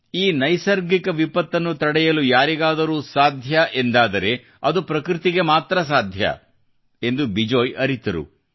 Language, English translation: Kannada, Bijoyji felt that if anything can stop this environmental devatation, theonly thing that can stop it, it is only nature